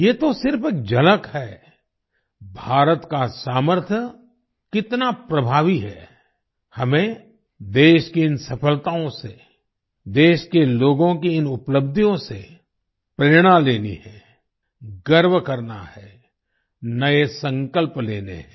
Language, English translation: Hindi, This is just a glimpse of how effective India's potential is we have to take inspiration from these successes of the country; these achievements of the people of the country; take pride in them, make new resolves